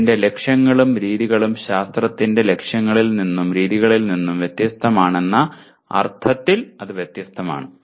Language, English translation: Malayalam, Different in the sense its goals and its methods are different from the goals and methods of science